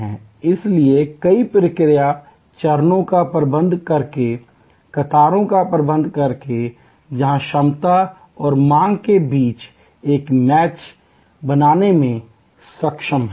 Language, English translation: Hindi, So, that by managing queues by managing multiple process steps, where able to create a match between capacity and demand